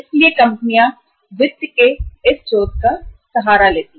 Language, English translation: Hindi, So companies resort to this source of finance